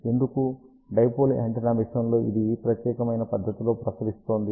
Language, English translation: Telugu, Why, in case of a dipole antenna, it is radiating in this particular fashion